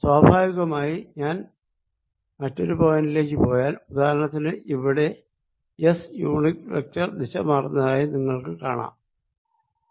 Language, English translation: Malayalam, naturally, you see, if i go to a different point, which is say, here, you're going to see that s unit vector has changed direction